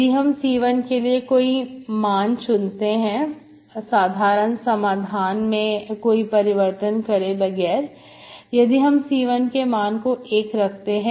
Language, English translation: Hindi, I can choose any value for C1, so without loss of general, we can choose C1 as 1